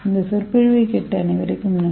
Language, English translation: Tamil, Thank you all for listening this lecture